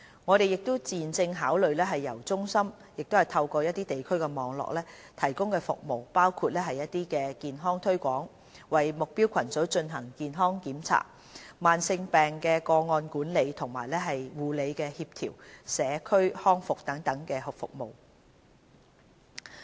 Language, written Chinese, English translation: Cantonese, 我們現正考慮將由中心透過地區網絡提供服務，包括健康推廣、為目標組群進行的健康檢查、慢性疾病個案管理及護理協調、社區康復等各項服務。, We are also considering making use of the local network of the centre to provide services on health promotion health screening for target groups case management and care coordination for chronic patients and community rehabilitation